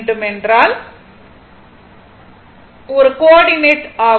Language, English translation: Tamil, Because this is one coordinate